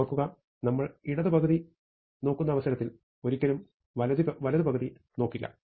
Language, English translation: Malayalam, Remember, that if we look at the left half, we never going to look at the right half again